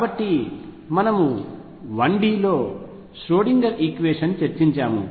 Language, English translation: Telugu, So, we have discussed one Schrödinger equation in 1D